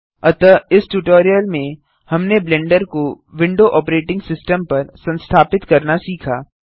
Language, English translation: Hindi, So in this tutorial, we have learnt how to install Blender on a Windows operating system